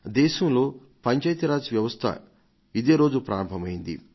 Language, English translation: Telugu, On this day, the Panchayati Raj system was implemented in our country